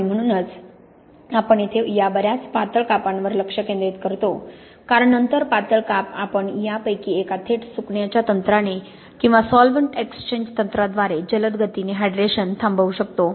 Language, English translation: Marathi, And this is why we tend to focus on these quite thin slices here because then the thin slices we can quite rapidly stop the hydration by either one of these direct drying techniques or by solvent exchange techniques